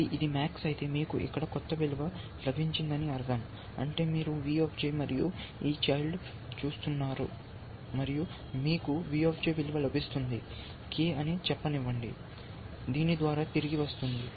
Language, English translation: Telugu, So, if it is max, it means that, you have got some value here, which is V J, and you have looking at this child, and your getting a value V J, let say k, which is return by this